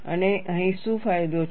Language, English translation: Gujarati, And what is the advantage here